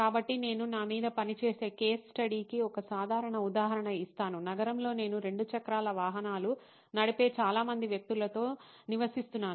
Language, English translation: Telugu, So, I will give you a simple example of case study that I worked on myself is that in the city that I live in a lots of people who ride 2 wheelers powered